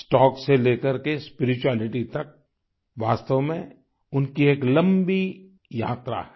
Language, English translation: Hindi, From stocks to spirituality, it has truly been a long journey for him